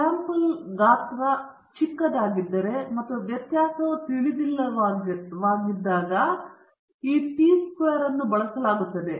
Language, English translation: Kannada, This t distribution is used when the sample size is small and the variance is unknown